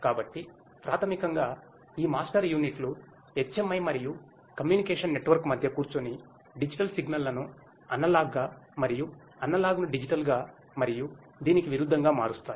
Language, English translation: Telugu, So, this basically these master units sits in between the HMI and the communication network and converts the digital signals to analog and analog to digital and vice versa